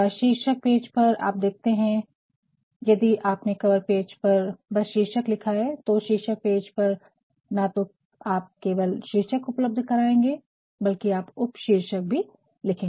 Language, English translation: Hindi, On the title page you will find, if on the cover page you have simply mentioned the title, on the title page you are going to provide not only the title, but you are also go going to provide the subtitle